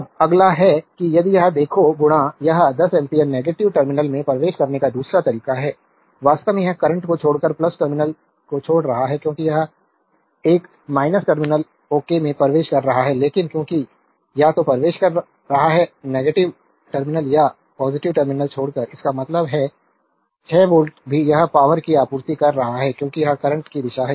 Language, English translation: Hindi, Now, next is if you look into this, this 10 ampere current entering the negative terminal other way actually it is leaving the current leaving the plus terminal, because this is entering a minus terminal ok, but because either entering minus terminal or leaving the plus terminal; that means, 6 volt also it is supplying power because this is the direction of the current